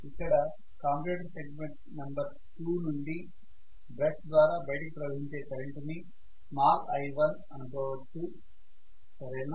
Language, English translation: Telugu, Let me write this current now what is flowing form commutator segment number 2 through the brush into the outside let me call that as some small i1 okay